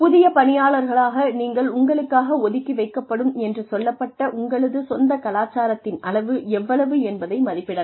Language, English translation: Tamil, As a new employee, you can assess, how much of your own culture, you are being asked to set aside